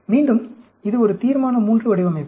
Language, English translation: Tamil, Again, this is a Resolution III design